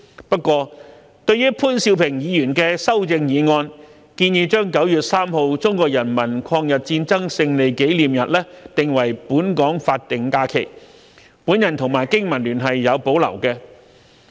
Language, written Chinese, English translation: Cantonese, 不過，對於潘兆平議員的修正案建議將9月3日中國人民抗日戰爭勝利紀念日定為本港法定假期，我和香港經濟民生聯盟是有保留的。, However the Business and Professionals Alliance for Hong Kong and I have reservations about the proposal in Mr POON Siu - pings amendment to designate the Victory Day of the Chinese Peoples War of Resistance against Japanese Aggression on 3 September as a local statutory holiday